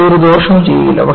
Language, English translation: Malayalam, And, no harm will be done